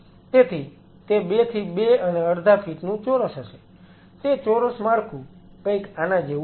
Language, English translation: Gujarati, So, it will be it will be a cube of 2 to 2 and half feet a cubical structure something like this